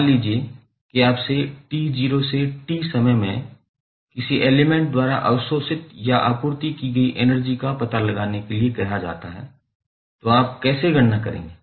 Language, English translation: Hindi, Now, suppose you are asked to find out the value of energy absorbed or supplied by some element from time t not to t how you will calculate